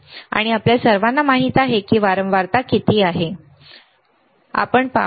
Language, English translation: Marathi, And we all know what is the frequency, we will see